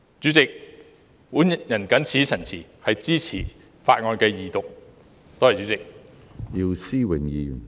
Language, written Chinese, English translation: Cantonese, 主席，我謹此陳辭，支持《條例草案》二讀，多謝主席。, President with these remarks I support the Second Reading of the Bill . Thank you President